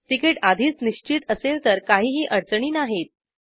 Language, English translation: Marathi, If the ticket is already confirmed their are no difficulties